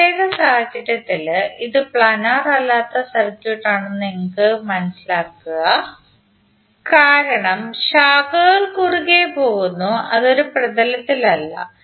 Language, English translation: Malayalam, While in this particular case if you see this is non planar circuit because the branches are cutting across and it is not in a plane